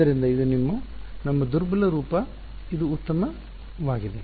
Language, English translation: Kannada, So, this is our weak form this is this is fine